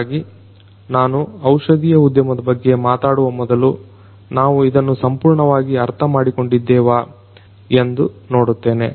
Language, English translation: Kannada, So, before I talk about IoT in pharmaceutical industry, let me see whether we understand this in detail enough